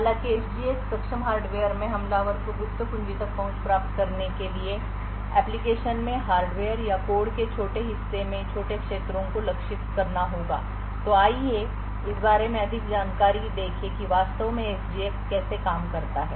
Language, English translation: Hindi, While in the SGX enabled hardware the attacker would have to target small regions in the hardware or small portions of code in the application in order to achieve in order to gain access to the secret key so let us look into more details about how SGX actually works